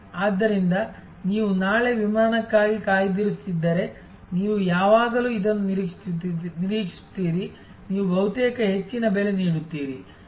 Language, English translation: Kannada, So, if you are booking for a flight for tomorrow, then you will always expect that this, you will be almost paying the highest price